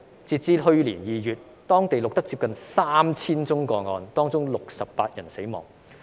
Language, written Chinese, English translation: Cantonese, 直至去年2月，當地錄得接近 3,000 宗個案，當中68人死亡。, By February last year nearly 3 000 cases were recorded there of which 68 people died